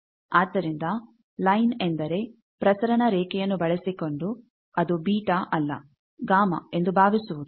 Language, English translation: Kannada, So, line means using a transmission lime we are assuming not beta it is gamma